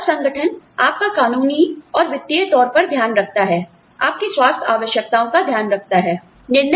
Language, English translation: Hindi, Then, the organization takes care of you, legally, financially, takes care of your health needs, etcetera